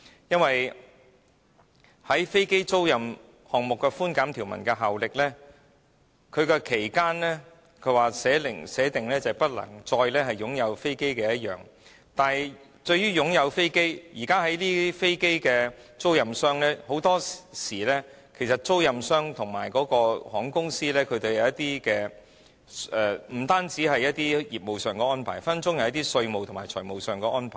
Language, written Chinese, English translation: Cantonese, 因為在飛機租賃項目的寬減條文效力方面，訂明的期間是直至不能再擁有飛機，但是就擁有飛機的定義而言，現時飛機租賃商與航空公司除業務安排外，很多時可能也會有一些稅務和財務安排。, It is stipulated in the Bill that the aircraft leasing tax concessions provisions are to have effect until the corporation concerned has ceased to own the aircraft but under the definition of ownership of aircraft apart from the business arrangements between aircraft leasing operators and airline companies some taxation and financial arrangements between them may also be covered and such arrangements are very common nowadays